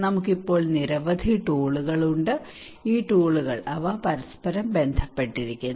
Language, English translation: Malayalam, We have so many tools now these tools they vary from each other